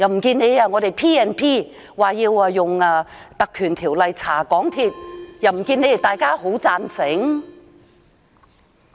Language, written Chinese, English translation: Cantonese, 可是，當我們提出引用《立法會條例》調查港鐵公司，又不見得大家會贊成。, Yet when we propose to conduct an inquiry into MTRCL by invoking the Legislative Council Ordinance it is unlikely that all Members will agree